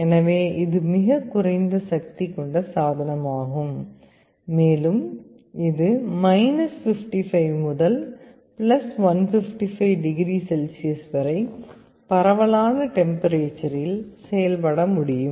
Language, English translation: Tamil, So, it is also a very low power device, and it can operate over a wide range of temperatures from 55 to +155 degree Celsius